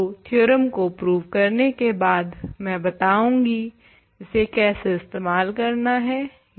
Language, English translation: Hindi, So, after proving the theorem I will remark on how to apply it